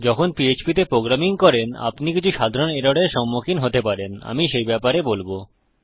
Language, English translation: Bengali, I will go through some of the common errors you might encounter when you are programming in PHP